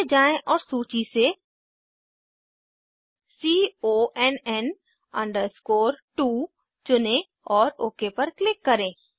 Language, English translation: Hindi, Scroll down and choose CONN 2 from the list and click on OK